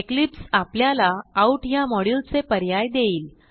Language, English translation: Marathi, Now Eclipse will provide suggestions from the out module